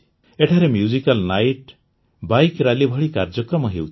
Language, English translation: Odia, Programs like Musical Night, Bike Rallies are happening there